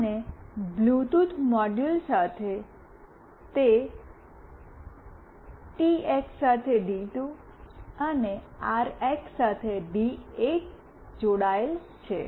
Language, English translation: Gujarati, And with the Bluetooth module, it is connected to D2 with the TX, and D8 with the RX